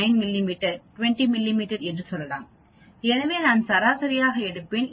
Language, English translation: Tamil, 9 mm, 20 mm so I will take an average